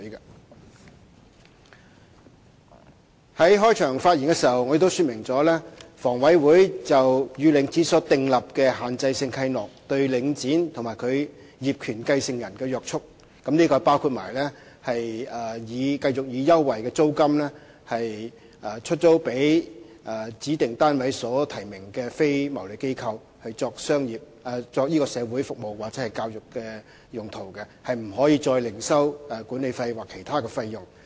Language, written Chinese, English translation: Cantonese, 我在開場發言時亦說明了，房委會與領展所訂立的限制性契諾對領展及其業權繼承人的約束，這包括繼續以優惠的租金出租予指定單位所提名的非牟利機構作社會服務或教育的用途，是不可以再另收管理費或其他費用。, I also made it clear in my opening speech the constraints imposed by the restrictive covenants signed between HA and Link REIT on Link REIT and its successor in title including letting out relevant units to non - profit - making organizations nominated by specified units at concessionary rent for social welfare or educational purposes . Moreover management fees or other charges must not be collected